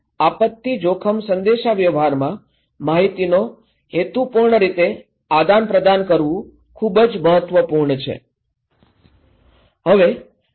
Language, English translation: Gujarati, So, purposeful exchange of information in disaster risk communication is very important